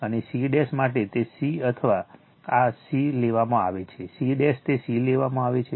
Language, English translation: Gujarati, And for c dash, it is taken c this c dash it is taken c right